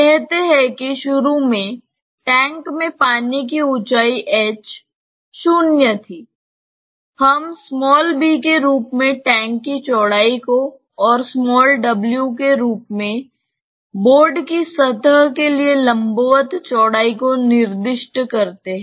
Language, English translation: Hindi, Say initially the height of water in the tank was h 0; maybe let us specify the breadth of the tank as b and maybe the width perpendicular to the plane of the board as w